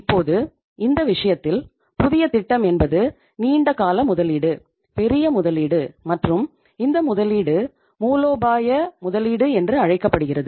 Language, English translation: Tamil, Now in this case, new project means a long term investment, big investment and this investment is also called as strategic investment